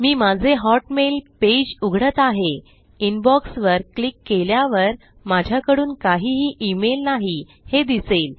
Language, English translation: Marathi, You can see when I open up my current hotmail page and click on Inbox, there are no emails here from me